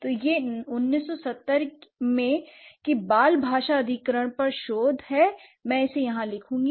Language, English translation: Hindi, So, this 1970 research would say research on language, child language acquisition